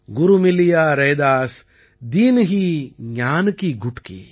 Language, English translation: Tamil, Guru Miliya Raidas, Dinhi Gyan ki Gutki